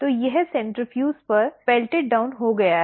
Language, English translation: Hindi, So, this is pelleted down on centrifuge